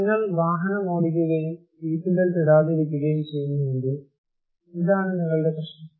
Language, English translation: Malayalam, Or if you are driving and not putting seatbelt, this is your problem